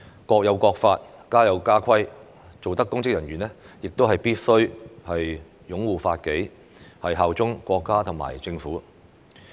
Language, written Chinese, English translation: Cantonese, "國有國法，家有家規"，凡擔任公職人員，必須擁護法紀、效忠國家和政府。, There are laws in every country and regulations in every family . All public officers must uphold the law and bear allegiance to the country and the Government